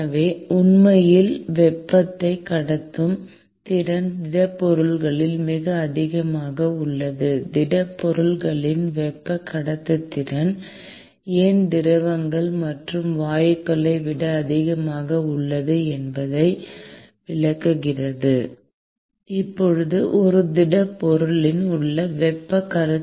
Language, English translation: Tamil, And therefore, the ability to actually conduct heat is at much higher in solids, which explains why the thermal conductivity of solids is much higher than that of liquids and gases